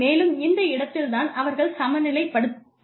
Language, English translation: Tamil, And, this is the point is where they balance out